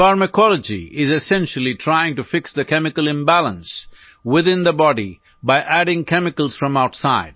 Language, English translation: Hindi, Pharmacology is essentially trying to fix the chemical imbalance within the body by adding chemicals from outside